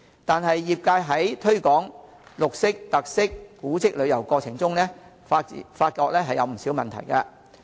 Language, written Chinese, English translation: Cantonese, 但是，業界在推廣綠色、特色、古蹟旅遊過程中，發覺有不少問題。, That said a number of problems have been identified by the industry in the promotion of green tourism featured tourism and heritage tourism